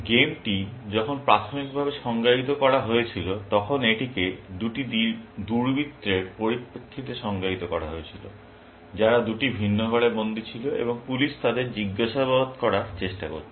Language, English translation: Bengali, When the game was originally defined, it was defined in terms of two crooks, who were locked up in two different rooms, and the police were trying to interrogate them